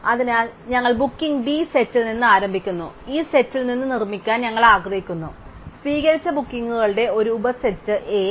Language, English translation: Malayalam, So, we start with the set of bookings B and we want to construct from this set, a subset A of accepted bookings